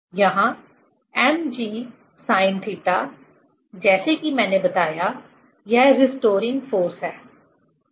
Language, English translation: Hindi, Here mg sin theta, as I told, this is restoring force, ok